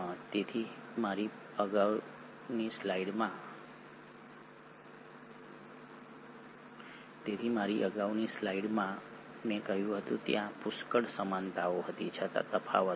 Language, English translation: Gujarati, So there are, in my previous slide I said, there were plenty of similarities yet there are differences